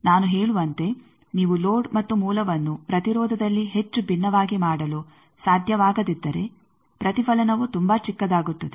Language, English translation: Kannada, As I say that, if you can make the load and source not much different in impedance then the reflection is very small